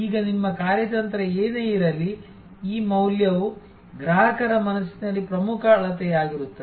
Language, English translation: Kannada, Now, whatever maybe your strategy, it is this value delivered will be the key measurement in customers mind